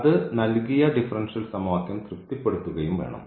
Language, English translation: Malayalam, So, then this will be a general solution of the given differential equation